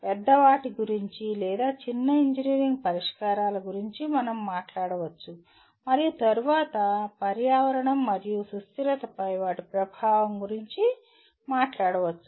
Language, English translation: Telugu, One can talk about either bigger ones or smaller engineering solutions we can talk about and then and then talk about their impact on environment and sustainability